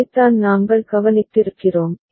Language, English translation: Tamil, This is what we have noticed ok